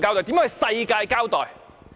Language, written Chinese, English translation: Cantonese, 如何向世界交代？, How can he explain that to the world?